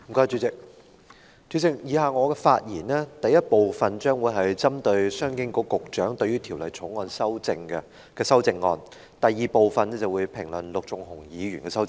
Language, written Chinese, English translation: Cantonese, 主席，我以下的發言，第一部分將會針對商務及經濟發展局局長對《旅遊業條例草案》提出的修正案，而第二部分評論陸頌雄議員的修正案。, Chairman in the first part of my speech I will speak on the amendments proposed by the Secretary for Commerce and Economic Development to the Travel Industry Bill the Bill and in the second part I will comment on the amendments of Mr LUK Chung - hung